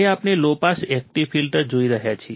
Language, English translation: Gujarati, Now, we are looking at low pass active filter